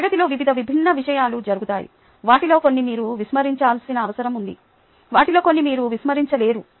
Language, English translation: Telugu, there will be various different things happening in class, some of which you need to ignore, some of which you cannot ignore